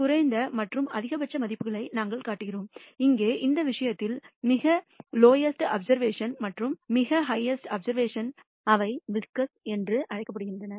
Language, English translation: Tamil, We also show the minimum and maximum values; here in this case the lowest observation the highest observation and those are called the whiskers